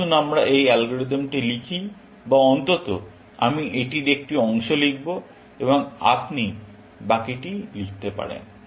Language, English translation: Bengali, Let us write this algorithm, or at least, I will write a part of it, and you can write the rest